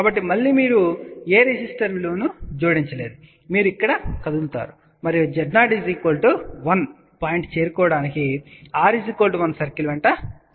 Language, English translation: Telugu, So, again you have not added any resistor value, you are simply moved over here and move along r equal to 1 circle to reach Z 0 equal to 1 point